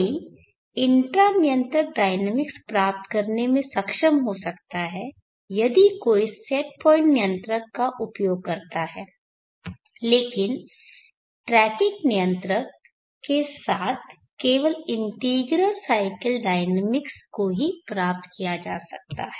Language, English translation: Hindi, What we will able to achieve inter cycle dynamics if one uses set point controller but the tracking controller only integral cycle dynamics can be achieved